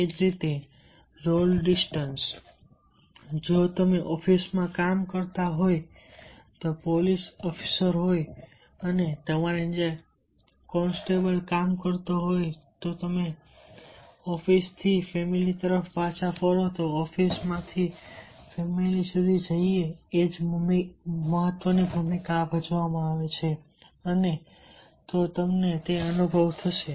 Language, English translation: Gujarati, if we, you are a police officers working in the office and under you constables are working and you return from the office to the family, then the same role is carried out from the office to the family